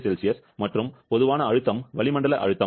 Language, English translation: Tamil, 01 degree Celsius and common pressure is an atmospheric pressure